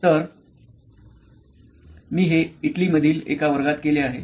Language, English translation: Marathi, So, I have done this in a field in a class in Italy